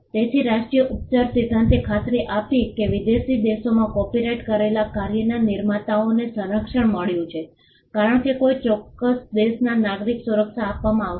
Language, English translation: Gujarati, So, national treatment principle ensured that creators of copyrighted work in foreign countries got symbol of protection as a protection would be offered to a citizen of a particular country